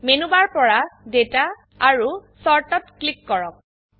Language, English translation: Assamese, From the Menu bar, click Data and Sort